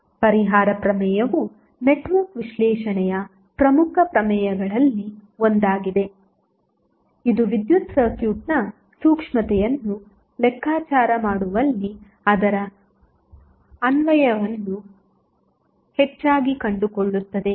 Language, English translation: Kannada, Compensation theorem is also 1 of the important theorems in the network analysis, which finds its application mostly in calculating the sensitivity of the electrical circuit